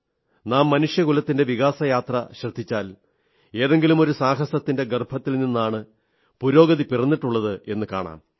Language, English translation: Malayalam, If you view the journey of human evolution, you will notice that breakthroughs in progress have taken birth in the womb of some adventure or the other